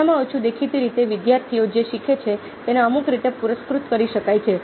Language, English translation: Gujarati, at least, apparently, students learning can be rewarded in some way